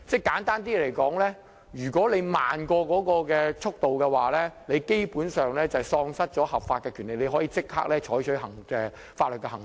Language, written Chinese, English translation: Cantonese, 簡單來說，如果速度慢於政府所規定的水平，便等於喪失合法權利，可以立即採取法律行動。, Simply put if the speed is below the Governments standard that would be tantamount to deprivation of a legal right for which legal actions can be taken immediately